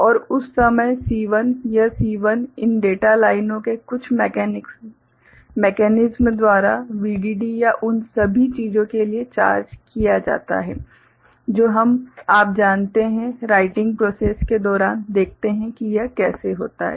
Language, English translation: Hindi, And that time C1 is this C1 is charged to VDD by some mechanisms of these data lines or all those things that we shall see during you know, writing process how it happens